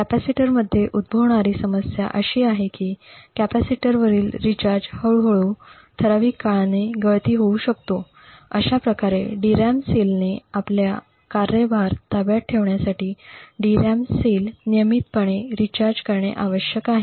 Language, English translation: Marathi, The problem that may occur in capacitors is that the charge on the capacitor may gradually leak over a period of time, thus in order that a DRAM cell holds its charge it is required that the DRAM cells be recharged periodically